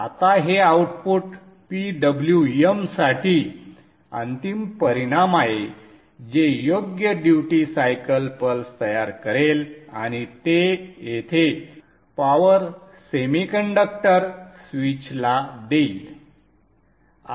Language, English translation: Marathi, Now this output is finally fed to the PWM which will generate the appropriate duty cycle pulse and give it to the power semiconductor switch here